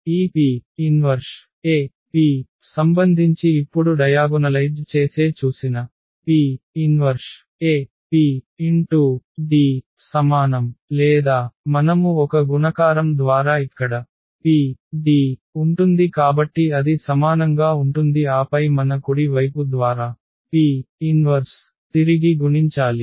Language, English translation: Telugu, So, this P inverse AP what we have seen that A can be diagonalized then we have this relation P inverse AP is equal to D or we can rewrite it that A is equal to so we multiply by P here first there will be PD and then the right side we will multiply by P inverse